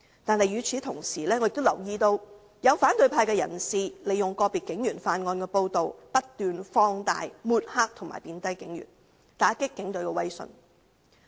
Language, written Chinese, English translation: Cantonese, 但與此同時，我亦留意到有反對派人士利用個別警員犯案的報道，不斷把事情放大，抹黑和貶低警員，打擊警隊的威信。, At the same time however I have also noticed that some people in the opposition camp have made use of the news reports about crimes committed by individual police officers . They keep making an issue of the cases to smear and belittle police officers and discredit the Police Force